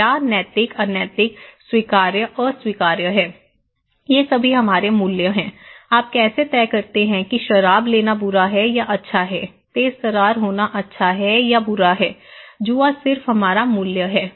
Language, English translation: Hindi, So, what is ethical unethical, acceptable unacceptable, these are all our values, how do you decide that taking alcohol is bad or good, from being flamboyant is good or bad, gambling is just our values, right, just our values